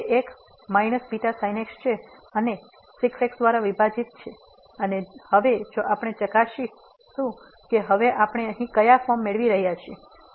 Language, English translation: Gujarati, So, it is a minus beta and divided by and now if we check what form we are getting now here